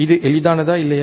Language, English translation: Tamil, Is it easy or not